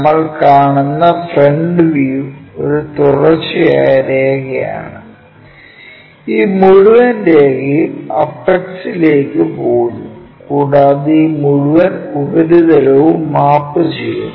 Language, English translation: Malayalam, So, what we will see is the frontal one a continuous line, this entire line goes all the way to apex and this entire surface maps as this surface